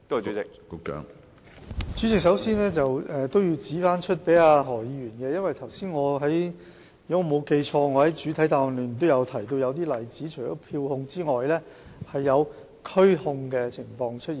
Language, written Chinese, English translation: Cantonese, 主席，首先，我要向何議員指出，如果我沒有記錯，我在主體答覆中也提到一些例子，除了票控之外，也有拘控的情況。, President first of all I have to point out to Mr HO that if my memory is correct I have cited some examples in the main reply . Apart from serving summonses there were arrests too